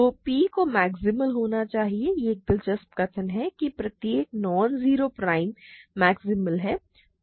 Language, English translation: Hindi, So, P must be maximal it is an interesting statement that every non zero prime is maximal